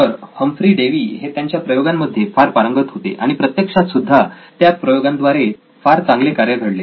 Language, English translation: Marathi, So, Humphry Davy was very thorough with this experiments and in practice it worked very well as well